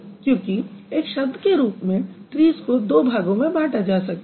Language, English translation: Hindi, Because trees as a word you can actually break it into two pieces